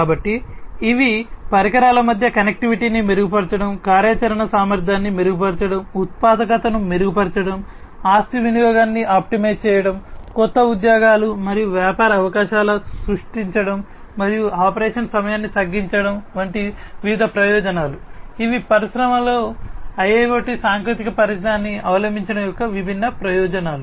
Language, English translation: Telugu, So, these are different benefits of IIoT improving connectivity among devices, improving operational efficiency, improving productivity, optimizing asset utilization, creating new job,s and business opportunities, and reducing operation time, these are the different benefits of the adoption of IIoT technologies in the industry